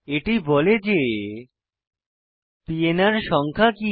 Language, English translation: Bengali, It says what is the PNR number